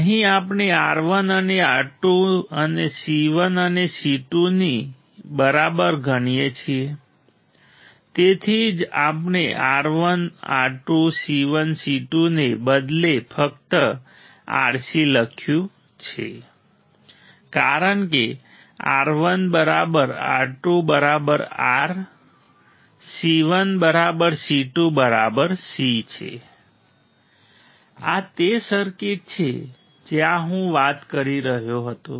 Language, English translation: Gujarati, Here we consider R 1 equal to R 2 and C 1 equal to C 2 that is why we have written just R C instead of R 1 R 2 C 1 C 2 because R 1 equal to R 2 equal to R C 1 equal to C 2 equal to C this is the circuit for where I was talking about ok